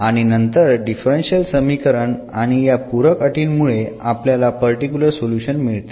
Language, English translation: Marathi, And then as differential equation together with these supplementary conditions we will get particular solutions